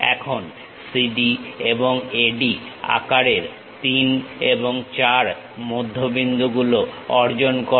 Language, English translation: Bengali, Now, obtain the midpoints 3 and 4 of the size CD and AD